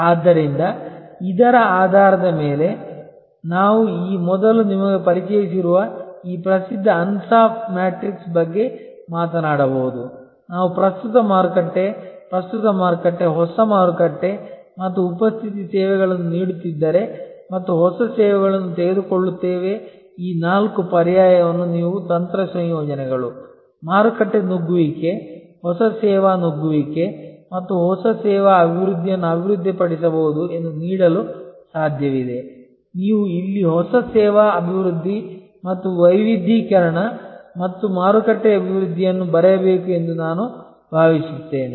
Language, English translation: Kannada, So, based on this we can talk about this famous ansoff matrix which have already introduce to you earlier that if we take current market, present market, new market and presence services being offered and new services that are possible for offering you can develop this four alternative a strategy combinations, market penetration, new service penetration and new service development rather, I think you should write here new service development and diversification and market development